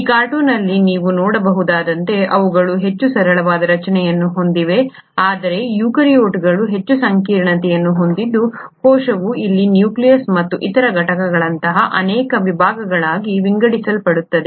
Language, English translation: Kannada, They have a much simpler structure as you can see it in this cartoon while the eukaryotes have a much more complexity where the cell gets divided into multiple sections such as here the nucleus and the other components